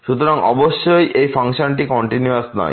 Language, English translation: Bengali, So, certainly this function is not continuous